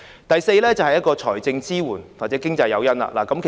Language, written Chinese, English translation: Cantonese, 第四，政府應提供財政支援或經濟誘因。, Fourthly the Government should provide financial support or economic incentives